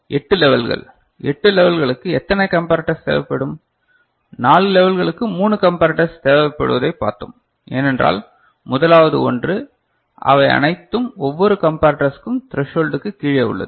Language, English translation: Tamil, So, 8 levels so, 8 levels how many comparator will be required, as we have seen for 4 levels 3 comparators are required, because the first one was coming that all of them are below the threshold for each of the comparator right